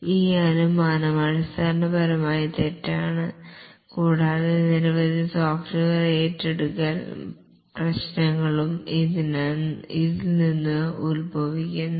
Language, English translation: Malayalam, This assumption is fundamentally wrong and many software accusation problems spring from this